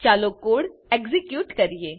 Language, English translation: Gujarati, Lets execute this code